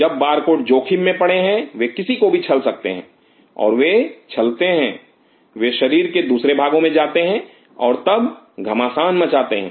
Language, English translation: Hindi, When the barcode is compromised they can cheat anybody and they do cheat they go to some other part of the body and then create rockers